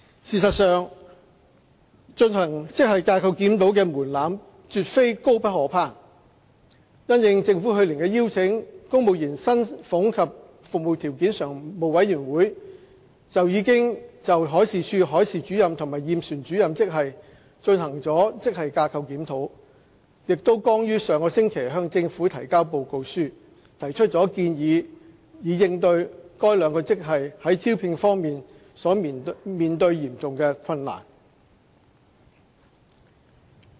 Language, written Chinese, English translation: Cantonese, 事實上，進行職系架構檢討的門檻絕非高不可攀，因應政府去年的邀請，公務員薪俸及服務條件常務委員會已就海事處海事主任及驗船主任職系進行了職系架構檢討，並剛於上星期向政府提交報告書，提出建議以應對該兩個職系在招聘方面所面對的嚴重困難。, In fact the threshold for GSRs is not too high to reach . In response to the Governments invitation the Standing Commission on Civil Service Salaries and Conditions of Service conducted GSRs for the Marine Departments Marine Officer and Surveyor of Ships grades and submitted its report to the Government last week by making recommendations to tackle the serious difficulties in the recruitment of the two grades